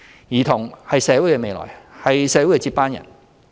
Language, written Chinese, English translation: Cantonese, 兒童是社會的未來，是社會的接班人。, Children are the future of society and the future backbone of the community